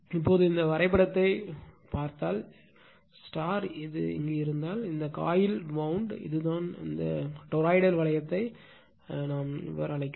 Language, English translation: Tamil, Now, if you look into this if you look into this diagram, this is the coil wound on this you are what you call on this toroidal ring